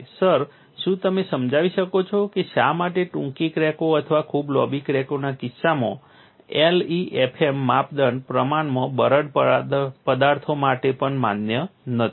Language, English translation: Gujarati, Sir could you please explain why in the case of short cracks or very long cracks, the LEFM criteria are no longer valid, even for relatively brittle materials